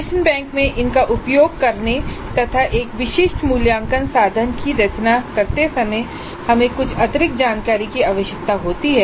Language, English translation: Hindi, And in order to make use of these items in the item bank while composing in a specific assessment instrument we need some additional information